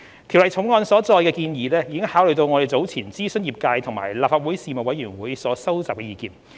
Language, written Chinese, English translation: Cantonese, 《條例草案》所載的建議已考慮我們早前諮詢業界及立法會財經事務委員會所收集的意見。, The proposals set out in the Bill have taken into consideration the feedback received during our previous consultations with the industry and the Panel on Financial Affairs of the Legislative Council